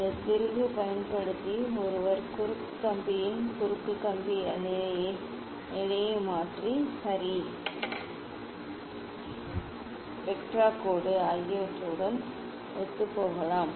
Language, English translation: Tamil, using this screw one can just change the cross wire position of the cross wire and make it coincide with the line ok, spectra line